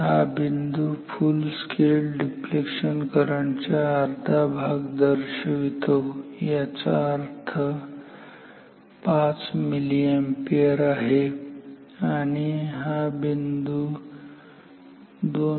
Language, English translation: Marathi, So, this point corresponds to half of FSD; that means, 5 milliampere; this point is 2